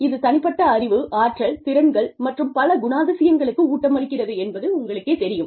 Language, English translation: Tamil, This is, you know, it feeds into the, individual knowledge, skills, abilities, and other characteristics